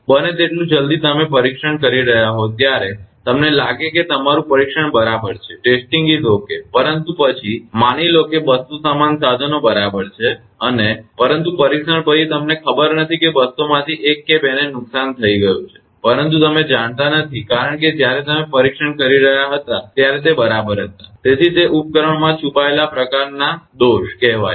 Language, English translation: Gujarati, As soon as when you are testing you find that your testing is ok but after, suppose 200 the same equipment right and, but after the testing you do not know out of that 200 that 1 or 2 might have got damaged, but you do not know because when you are testing it was ok so, these are called hidden kind of fault in that equipment